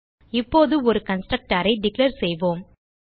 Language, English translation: Tamil, Now we will declare a constructor